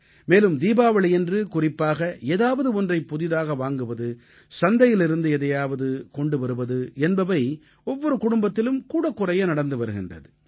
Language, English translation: Tamil, And especially during Diwali, it is customary in every family to buy something new, get something from the market in smaller or larger quantity